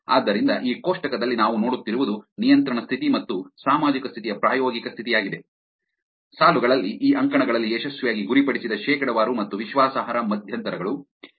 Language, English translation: Kannada, So, in this table what we are seeing is control condition and social condition experimental condition, as in the rows columns being successful targeted percentage and confidence intervals